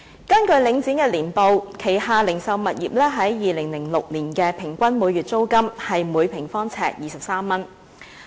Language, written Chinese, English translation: Cantonese, 根據領展的年報，它旗下零售物業在2006年的平均每月租金是每平方呎23元。, According to the annual reports of Link REIT in 2006 the average monthly rent of the retail properties under its management was 23 per square foot